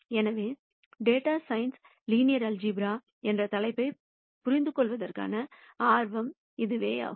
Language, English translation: Tamil, So, that is the data science interest in understanding this topic in linear algebra